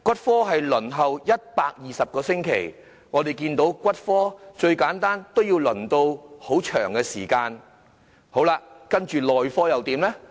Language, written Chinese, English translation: Cantonese, 輪候時間是120個星期，最簡單的骨科也要輪候一段長時間；接着內科又如何呢？, How about orthopaedics and traumatology? . The waiting time is 120 weeks; even the simplest specialty requires quite a long wait . Then how about medicine?